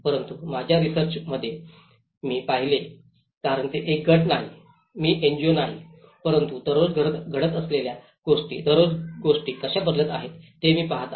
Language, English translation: Marathi, But in my research, I looked because I am not a group, I am not an NGO, but I am looking at everyday what is happening every day, how things are changing every day